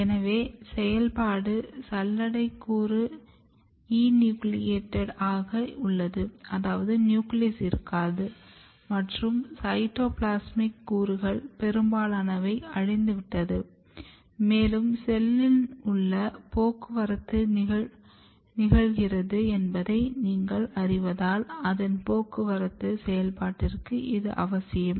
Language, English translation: Tamil, So, sieve element the functional sieve element is enucleated there is no nucleus most of the cytoplasmic components are degraded and this is essential for its function of transport as you know that transport is occurring inside the cell